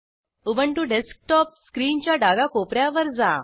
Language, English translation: Marathi, Go to top left corner of Ubuntu desktop screen